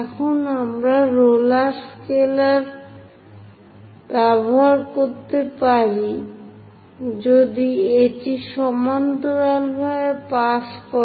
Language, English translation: Bengali, Now we can use roller scaler if it can pass parallel to that